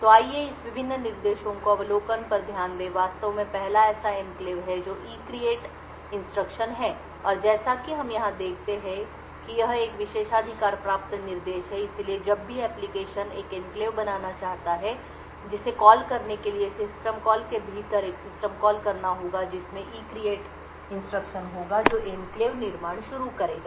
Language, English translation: Hindi, So let us look at an overview of this various instructions, the first one is actually to create the enclave that is the ECREATE instruction and as we see over here create is a privileged instruction so whenever an application wants to create an enclave it would require to call make a system call within the system call there would be an ECREATE instruction which would initialize initiate the enclave creation